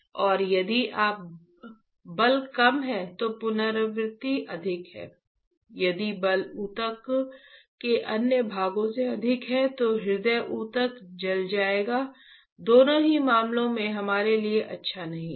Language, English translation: Hindi, And if the force is less recurrence is higher, if a force is more than the other parts of the tissue heart tissue will get burned in both the cases is not good for us